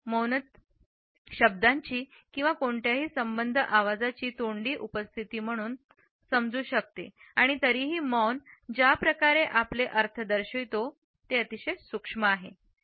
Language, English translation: Marathi, Silence can be understood as a vocal absence of words or any associated voice yet the way the silence represents our meanings is very subtle and yet it is resonant